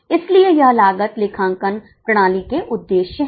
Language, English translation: Hindi, So, these are the objectives of cost accounting system